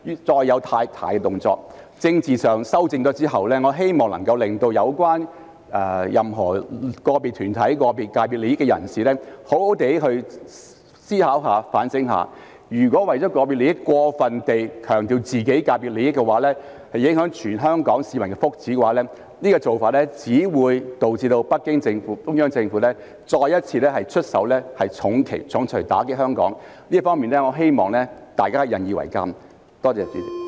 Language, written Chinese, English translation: Cantonese, 在政治上作出修正後，我希望能夠令有關的個別團體及代表個別界別利益的人士好好思考和反省，如果為了個別利益，過分強調自己界別的利益而影響全港市民福祉，這做法只會導致北京中央政府再一次出手重錘打擊香港，我希望大家引以為鑒。, After rectifications are made politically I hope that individual organizations concerned and people representing the interests of individual sectors will seriously do some thinking and soul - searching . If they care about their individual interests and over - emphasize the interests of their industries at the expense of the well - being of all the people of Hong Kong it will only result in the Beijing Central Government taking actions once again to hit Hong Kong with a hard punch . I hope that we will all learn a lesson